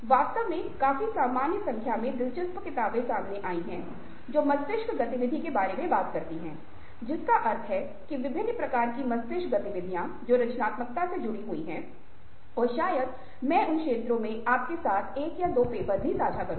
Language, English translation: Hindi, in fact, there are quite a normal number of interesting books i have come across which talk about ah, ah, bea i mean brain activities of various kinds that get linked to creativity, and maybe i will share with you one or two papers in those areas